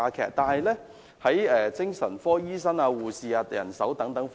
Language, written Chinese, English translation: Cantonese, 然而，精神科醫生及護士等人手並沒有增加。, Nevertheless the numbers of psychiatric doctors and nurses have not increased